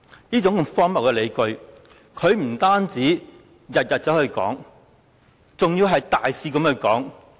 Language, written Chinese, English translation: Cantonese, 這種荒謬的理據他不僅每天都在提出，更是大肆地提出。, He has raised such ridiculous justifications day after day brazenly